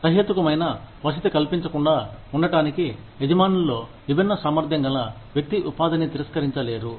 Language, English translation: Telugu, Employers cannot deny, a differently abled person employment, to avoid providing the reasonable accommodation